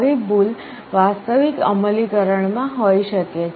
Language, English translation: Gujarati, Such errors may be there in an actual implementation